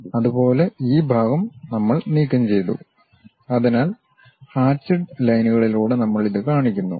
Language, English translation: Malayalam, Similarly this part we have removed it; so, we show it by hatched lines